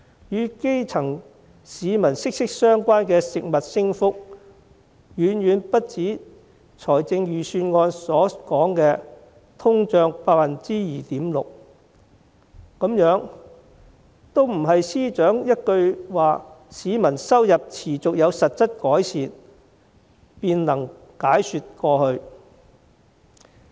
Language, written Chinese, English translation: Cantonese, 與基層市民息息相關的食物價格升幅，遠遠不止預算案所說的通脹率 2.6%， 這些不是司長說市民收入持續有實質改善便能解說過去。, The increase in food prices that are closely related to grass - roots people is far more than 2.6 % the inflation rate mentioned in the Budget . These cannot be explained away by the Financial Secretary saying that salaries increased continuously in real terms